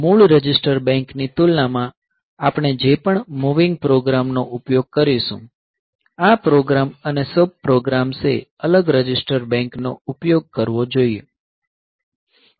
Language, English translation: Gujarati, So, compared to the original register bank whatever the moving program we will use, this program the sub programs they should use the different register bank